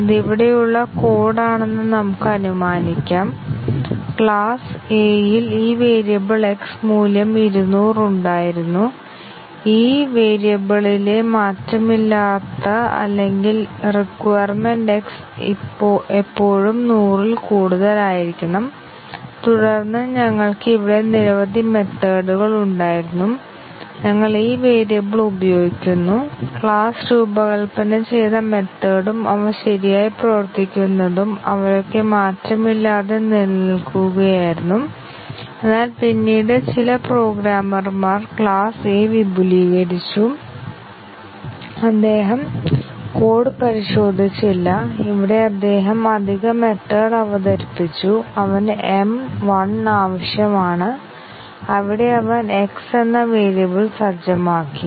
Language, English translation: Malayalam, Let us assume that this was the code here class A had this variable x having value 200 and the invariant or the requirement on this variable is that x should always be greater than 100 and then we had several methods here, which we are using this variable and they were all maintaining this invariant that is the way the class was designed and they were working correctly, but then some programmer they extended the class A and he did not really look into the code just extended it and here he introduced the additional method that he needed m 1, where he set the variable x to 1